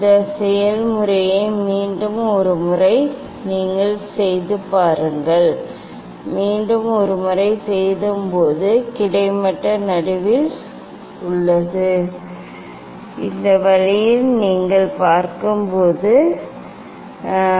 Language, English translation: Tamil, repeat the process once more you see this, once more you see yes, this is almost in middle and this way you see it is almost in middle